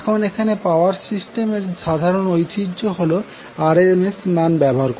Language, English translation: Bengali, Now, here the common tradition in the power system is, is the use of RMS values